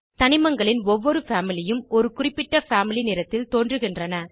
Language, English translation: Tamil, Each Family of elements appear in a specific Family color